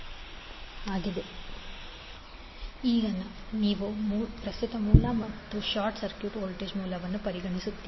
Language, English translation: Kannada, Now next is you consider the current source and short circuit the voltage source